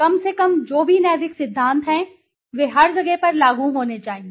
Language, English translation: Hindi, At least whatever ethical principles are there they should be applicable to everybody, every place